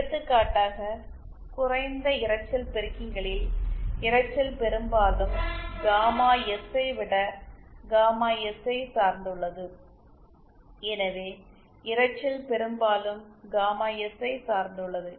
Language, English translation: Tamil, For example in low noise amplifiers noise depends mostly on gamma S rather than gamma L so noise depends mostly on gamma S